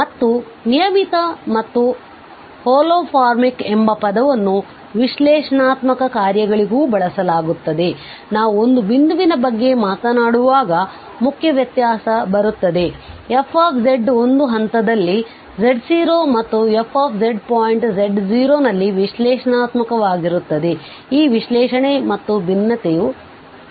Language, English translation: Kannada, And the term regular and holomorphic are also used for analytic functions, the main difference will come when we talk about a point that f z is differentiable at a points z naught and f z is analytic at a point z naught then the real difference of this analyticity and differentiability will come into the picture